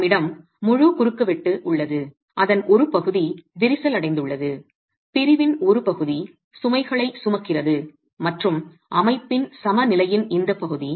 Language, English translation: Tamil, We have the entire cross section, part of it is cracked, part of the section is carrying loads and is part of the equilibrium of the system